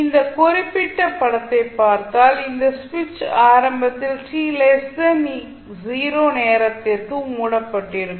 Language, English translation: Tamil, So if you this particular figure when this switch is initially closed for time t less thean 0